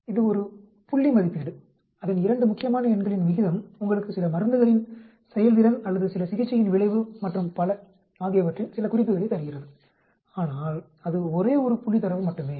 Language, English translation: Tamil, It is a point estimation, its ratio of 2 important numbers which gives you some indication of performance of some drugs or some the effect of certain a treatment and so on, but it is only one point data